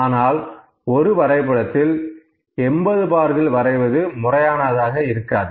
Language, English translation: Tamil, So, it is not very legitimate to draw 80 bars in 1 chart